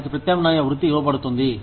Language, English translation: Telugu, They are given an alternative profession